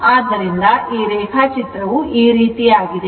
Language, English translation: Kannada, So, just see this diagram is like this